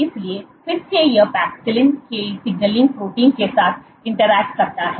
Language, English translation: Hindi, So, again it interacts with the signaling protein of paxillin